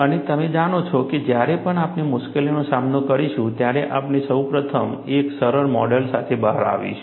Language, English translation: Gujarati, And you know, whenever we face difficulty, we will first come out with a simplistic model